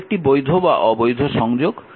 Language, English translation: Bengali, So, this is invalid connection